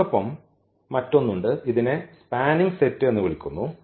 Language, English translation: Malayalam, And there is another one this is called a spanning set